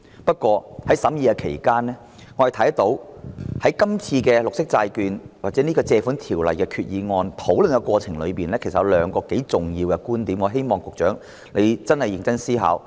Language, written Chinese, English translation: Cantonese, 不過，在審議期間，我們看到在討論這項有關綠色債券或根據《借款條例》動議的決議案的過程中，其實有兩個頗為重要的觀點，我希望局長會認真思考。, However during the scrutiny two key points were made in the discussion on green bonds or the Resolution moved under the Loans Ordinance which I hope the Secretary will give serious consideration